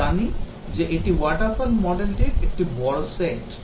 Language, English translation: Bengali, We know that that is a major set coming of the waterfall model